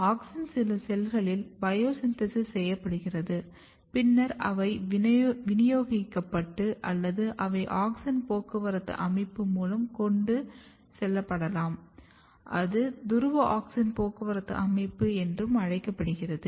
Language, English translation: Tamil, So, auxin is bio synthesized in some of the cells and then they can be distributed or they can be transported and the transport of auxins occurs through a well established auxin transport system which is also called polar auxin transport system